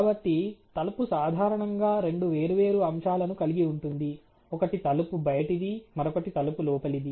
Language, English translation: Telugu, So, door typically is comprised of two different aspects; one is the door outer ok, and the door inner